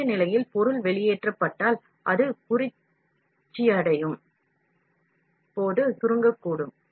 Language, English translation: Tamil, If the material is extruded in the molten state, it may also shrink when cooling